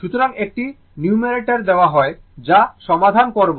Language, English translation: Bengali, So, one numerical is given that we will solve it